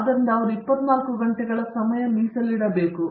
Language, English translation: Kannada, So, 24 hours